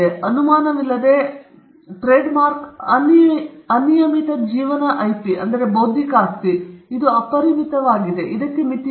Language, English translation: Kannada, The trademark without doubt is an unlimited life IP Intellectual Property it is unlimited; there is no limit to it